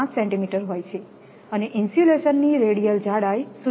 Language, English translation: Gujarati, 5 centimeter and the radial thickness of insulation is 0